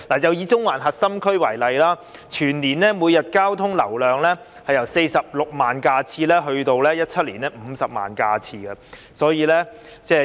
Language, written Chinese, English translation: Cantonese, 以中環核心區為例，全年每日交通流量由46萬架次增至2017年的50萬架次。, Take the Central Core District as an example . The annual average daily traffic increased from 460 000 vehicles to 500 000 vehicles in 2017